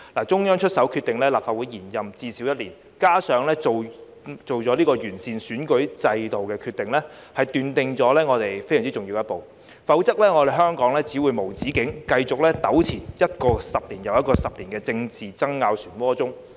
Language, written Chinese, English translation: Cantonese, 中央出手決定立法會延任至少一年，加上作出完善選舉制度的決定，奠定了非常重要的一步，否則香港只會無止境繼續糾纏於一個又一個10年的政治爭拗漩渦中。, The Central Governments decision to extend the term of office of the Legislative Council for at least one year coupled with its decision to improve the electoral system has been a very important step forward otherwise Hong Kong would only continue to be entangled in a whirlpool of political wrangling decade after decade